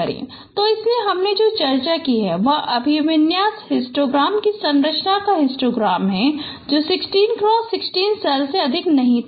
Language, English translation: Hindi, So the what I discussed the histogram of computation of the orientation histogram that was not over 16 cross 16 cell